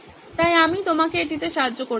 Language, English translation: Bengali, So I’m going to help you out with that